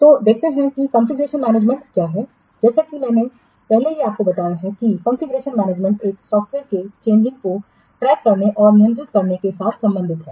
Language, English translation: Hindi, As I have already told you that configuration management deals with it concerned with tracking and controlling the changes to a software